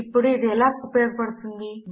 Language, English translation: Telugu, Now how is that useful